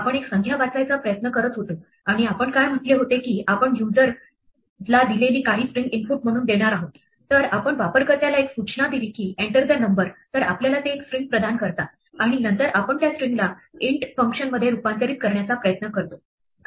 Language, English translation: Marathi, We were trying to read a number and what we said was that we would input some string that the user provides, so give them a message saying enter the number they provide us with the string and then we try to convert it using the int function